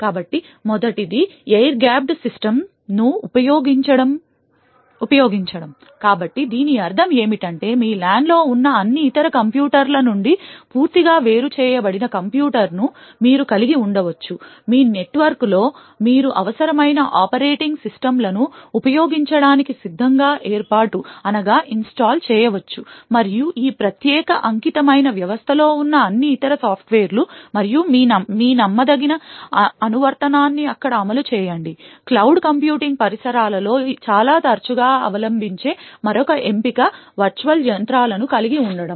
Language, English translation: Telugu, So the first is to use air gapped systems, so what we mean by this is that you could possibly have a computer which is totally isolated from all the other computers present in your LAN, in your network, you can install the required operating systems and all other software present in this special dedicated system and run your untrusted application over there, another option which is adopted quite often in cloud computing environments is to have Virtual Machines